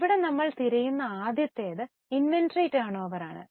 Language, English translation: Malayalam, The first one here we are looking for is inventory turnover